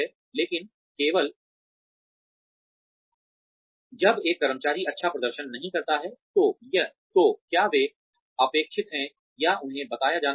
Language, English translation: Hindi, But, only when an employee does not perform well, are they expected, or should they be told